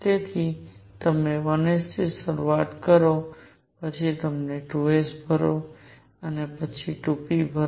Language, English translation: Gujarati, So, you start with 1 s, then you fill 2 s, then you fill 2 p